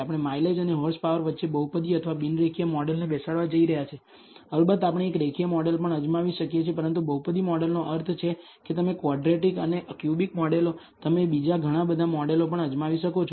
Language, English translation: Gujarati, We are going to fit a polynomial or a non linear model between mileage and horsepower, yeah of course we can also try a linear model, but a polynomial model means you can also try quadratic and cubic models and so on, so forth